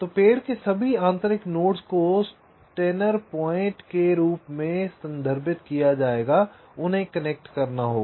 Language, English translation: Hindi, so all the internal nodes of the tree will be referred to as steiner points